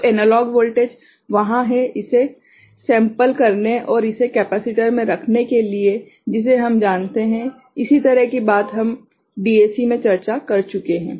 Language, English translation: Hindi, So, analog voltage is there to sample it and hold it in a capacitor, the one that we have you know similar thing we have discussed in DAC ok